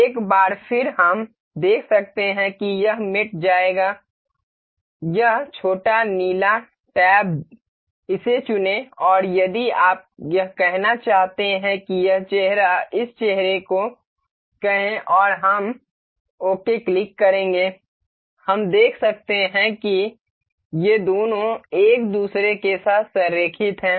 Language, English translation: Hindi, Once again we can see it will go to mate, this little blue blue tab select this and if you want to mate this say this face to this face and we will click ok, we can see these two are aligned with each other